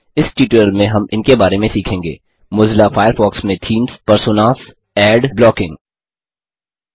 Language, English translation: Hindi, In this tutorial, we will learn about: Themes, Personas, Ad blocking in Mozilla Firefox